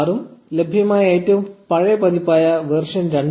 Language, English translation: Malayalam, 6 and the oldest available version, which is 2